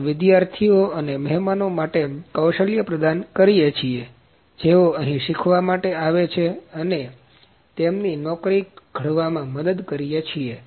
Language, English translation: Gujarati, We provide hands on skill towards students and the guests who come here for learning and support to fabricate their job